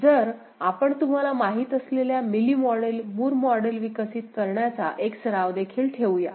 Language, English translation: Marathi, So, we shall also have a practice of you know, developing Mealy model, Moore model, so let us see